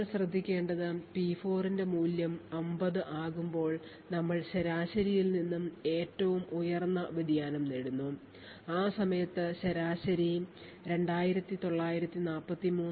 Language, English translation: Malayalam, What we notice is that when the value of P4 becomes 50 we obtain the highest deviation from the mean, so the mean over here is 2943